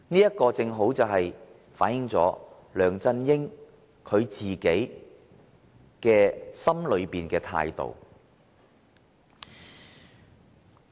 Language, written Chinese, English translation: Cantonese, 這正好反映梁振英心底的態度。, This aptly reflects the attitude of LEUNG Chun - ying at heart